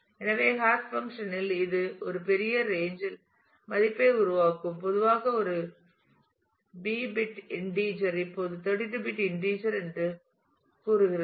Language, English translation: Tamil, So, it at the hash function will generate the value over a large range say typically a B bit integer say 32 bit integer now